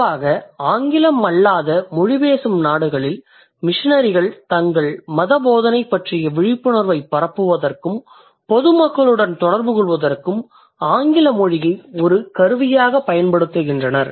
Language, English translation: Tamil, So, especially the non English speaking countries, the missionaries, they use English language as a tool to spread awareness about things or to communicate with the mass